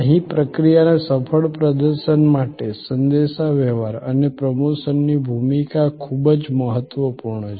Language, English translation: Gujarati, Here, also for successful performance of the process, the role of communication and promotion is very significant